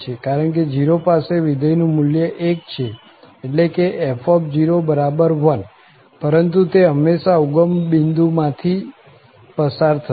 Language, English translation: Gujarati, Because at 0, the function value here is 1, the f at 0 is 1, but this will always pass from the origin